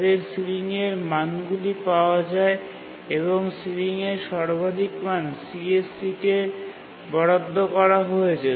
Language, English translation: Bengali, Their sealing values obtained and the maximum of that ceiling value is assigned to the CSE